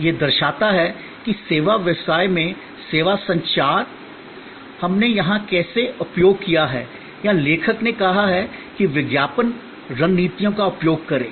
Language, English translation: Hindi, This shows that how service communication or communication in service business, how we have used here or rather the author said use the word advertising strategies